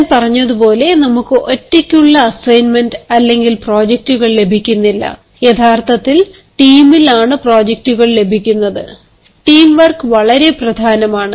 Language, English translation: Malayalam, as i said, we do not get assignments, projects in isolation, but then we actually get ah projects in team, and teamwork is very important